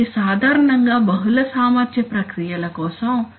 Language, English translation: Telugu, So typically for, you know, for multi capacity processes